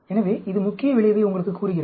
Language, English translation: Tamil, So, this tells you the main effect